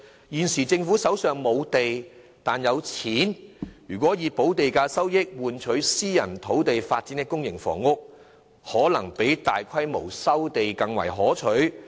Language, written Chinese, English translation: Cantonese, 現時政府手上欠缺土地，但不缺金錢，若能以補地價收益換取在私人土地發展公營房屋，可能比大規模收地更為可取。, Since the Government is now in lack of land rather than money instead of resuming land on a large scale it may be more desirable to sacrifice some premium income in exchange for development of public housing on private land